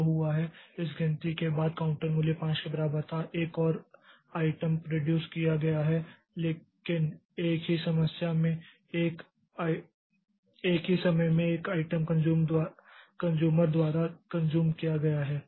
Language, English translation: Hindi, Whereas what has happened is this after this count the counter value was equal to 5, one more item has been produced but at the same time one item has been consumed by the consumer